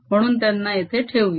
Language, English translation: Marathi, so let's put them here